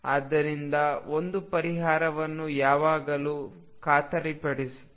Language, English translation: Kannada, So, one solution is always guaranteed